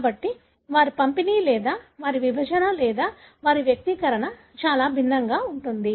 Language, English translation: Telugu, So, their distribution or their segregation or their expression is very, very different